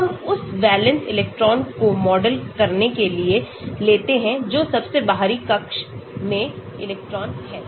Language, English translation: Hindi, so we take that to model the valence electrons that is electrons in the outermost orbit